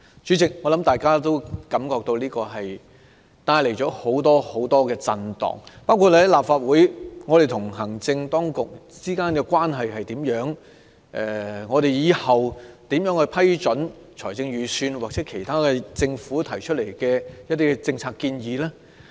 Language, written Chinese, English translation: Cantonese, 主席，我想大家亦感到此事帶來很多震盪，包括立法會與行政當局之間的關係，日後應如何批准財政預算案或政府提出的其他政策建議呢？, President I think we also feel that this incident has given rise to much shock including the relationship between the Legislative Council and the Administration . In what ways should we approve the Budget or other policy proposals introduced by the Government in future?